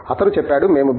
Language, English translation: Telugu, He said, when we recruit a B